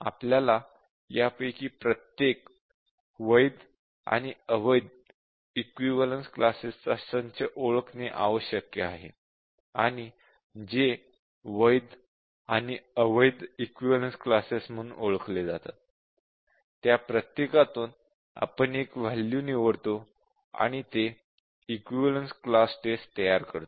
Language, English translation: Marathi, And for each of these, equivalence classes which have been identified the valid and the invalid set of equivalence classes we need to select one value and that will form our equivalence class test